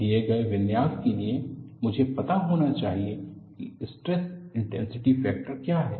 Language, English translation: Hindi, For the given configuration, I should know, what are the stress intensity factors